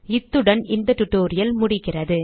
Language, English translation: Tamil, We have come to the end of this tutorial